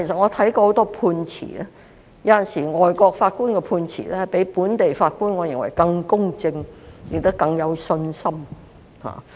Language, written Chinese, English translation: Cantonese, 我看過很多判詞，我認為有時候海外法官的判詞比本地法官更公正，亦使我更加有信心。, I have read many judgments and I find that sometimes judgments made by overseas judges are even more impartial and give me more confidence than those made by local judges